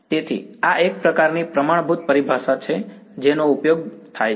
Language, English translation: Gujarati, So, this is sort of standard terminology which is used ok